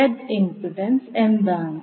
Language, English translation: Malayalam, So what is the impedance Z